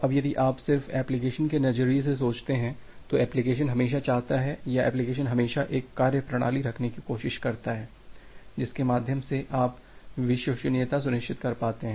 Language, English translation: Hindi, Now if you just think about from the application perspective, the application always wants or the application always try to have an methodology through which you will be able to ensure reliability